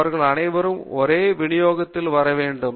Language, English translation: Tamil, They should all come under same distribution